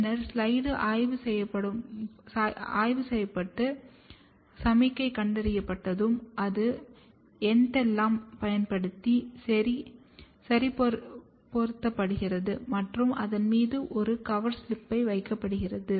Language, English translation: Tamil, And, then at the end once the slide is probed and the signal is detected, it is fixed using entellan and a cover slip is placed on it